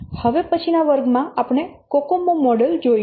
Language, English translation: Gujarati, So in the next class we will see that Cocoa model